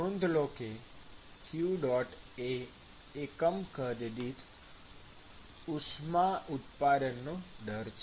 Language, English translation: Gujarati, say that qdot is the rate of heat generation per unit volume